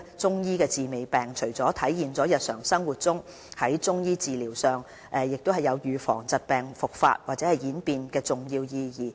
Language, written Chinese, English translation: Cantonese, 中醫強調"治未病"，除了體現在日常生活中，在中醫診療上亦有預防疾病復發或演變的重要意義。, The very concept of preventive treatment of disease in Chinese medicine is applicable to everyday life and is every important to the prevention of disease relapse and deterioration in the Chinese medical treatments